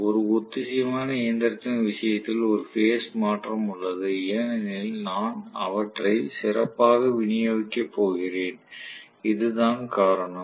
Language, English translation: Tamil, Whereas in the case of a synchronous machine there is a phase shift because I am going to have them specially distributed that is the reason right